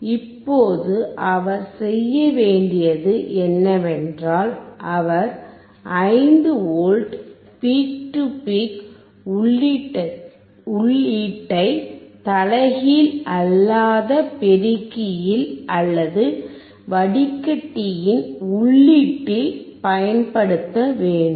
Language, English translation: Tamil, Now next thing he has to do is he has to apply 5V peak to peak to the input of the non inverting amplifier or into the input of the filter